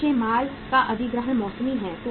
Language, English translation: Hindi, The acquisition of the raw material is seasonal